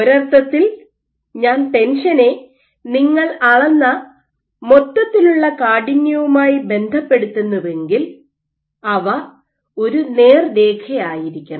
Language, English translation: Malayalam, So, in a sense if I relate the tension to the overall stiffness that you measure, they should be a straight line